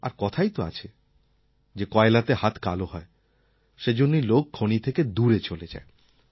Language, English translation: Bengali, We even have a saying, "Coal blackens your hands", hence people tend to stay away from coal mines